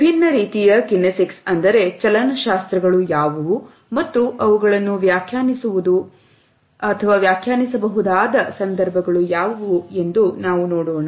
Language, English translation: Kannada, We would look at what are the different types of kinesics and what are the context in which their interpretation has to be done